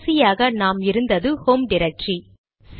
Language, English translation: Tamil, It will go to the home directory